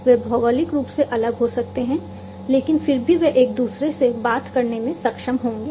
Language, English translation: Hindi, So, they might be geographically distant apart, but still they would be able to talk to each other